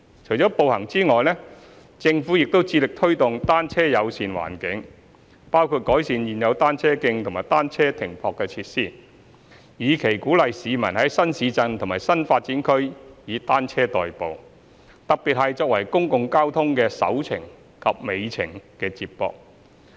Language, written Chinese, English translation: Cantonese, 除了步行外，政府亦致力推動"單車友善"環境，包括改善現有單車徑和單車停泊設施，以期鼓勵市民在新市鎮及新發展區以單車代步，特別是作為公共交通的"首程"及"尾程"接駁。, Apart from walking the Government also endeavours to promote a bicycle - friendly environment including improving the existing cycle tracks and bicycle parking spaces to encourage residents in new towns and new development areas to commute by bicycles particularly as the first mile and last mile trips to connect with public transport